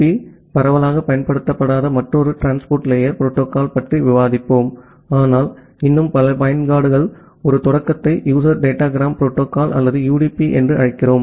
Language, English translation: Tamil, So, in this class we will discuss about another transport layer protocol which is not that much widely used as TCP, but still many of the applications use a start we call it as user datagram protocol or UDP